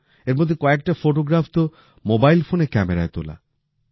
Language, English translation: Bengali, There are many photographs in it which were taken with a mobile camera